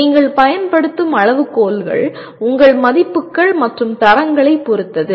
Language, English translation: Tamil, That depends on what criteria you are using depends on your values and standards